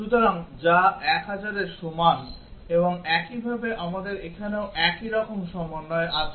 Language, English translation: Bengali, So, which is equal to 1000 and similarly we have combinations also corresponding to that here